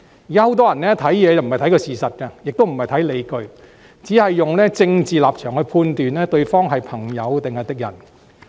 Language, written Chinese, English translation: Cantonese, 現時很多人在作出判斷時不是看事實，也不考慮理據，只按政治立場判斷對方是朋友還是敵人。, Some people nowadays seldom take facts and justifications into consideration when making judgments and they tend to only use a persons political stance determine whether the person is a friend or an enemy